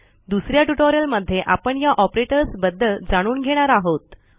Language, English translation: Marathi, In another tutorial were going to learn about operators